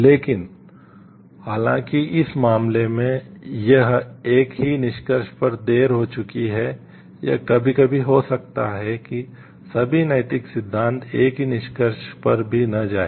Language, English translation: Hindi, But though in this case, it has late to the same conclusion it may of sometimes happened that all the ethical theories may not lead to the same conclusion also